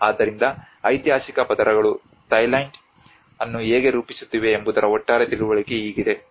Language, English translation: Kannada, So this is how the overall understanding of how the historical layers have been framing Thailand